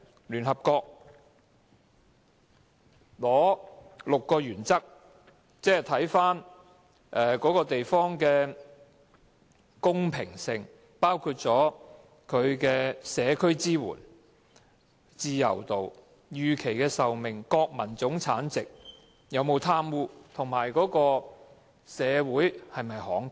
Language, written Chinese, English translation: Cantonese, 聯合國定出6個原則，看看該地方的公平性，包括社區支援、自由度、預期壽命、國民生產總值、有否貪污，以及社會是否慷慨。, The United Nations lays down six criteria to measure the equality enjoyed by a place these include social support freedom life expectancy Gross Domestic Product corruption and social generosity